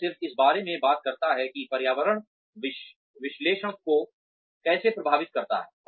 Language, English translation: Hindi, It just talks about, how the environment affects the analysis